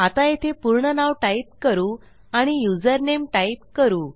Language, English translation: Marathi, So, we have got fullname and now we have username